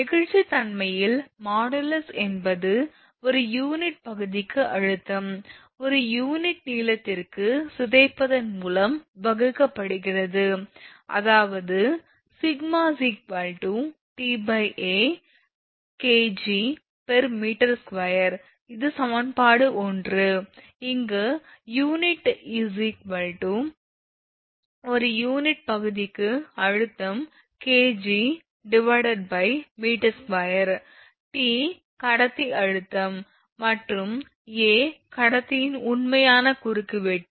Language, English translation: Tamil, The modulus of elasticity is defined as the, stress per unit area divided by the deformation per unit length; that means, sigma is equal to T upon A kg per meter square this is equation one, where sigma is equal to stress per unit area that is kg per meter square, T is equal to conductor tension in kg, and A is equal to actual cross section of conductor that is in meter square